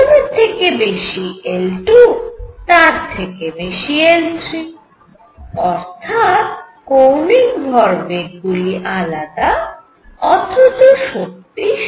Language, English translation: Bengali, We found that L 1 is greater than L 2 is greater than L 3, because the different angular momentums are different